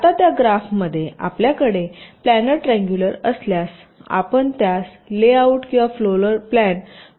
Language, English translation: Marathi, now, if we have the planner triangulations in that graph, you can map it to a layout or a floor plan